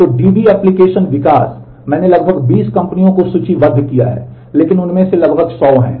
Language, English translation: Hindi, So, DB application development, I have listed some around 20 companies, but there are really 100s of them almost